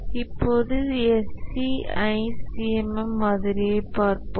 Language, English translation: Tamil, Now let's look at the SEI C C M model itself